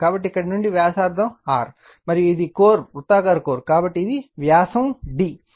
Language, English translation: Telugu, So, from here to your mean radius is capital R right, and this is the core circular core, so it is diameter is d right